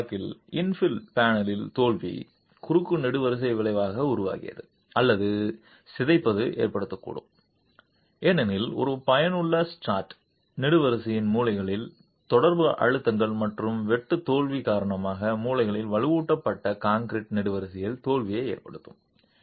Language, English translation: Tamil, In the previous case the failure of the infill panel created the short column effect or the deformation could cause because of an effective strut contact pressures at the corners of the column and cause failure in the reinforced concrete column in the corners due to shear failure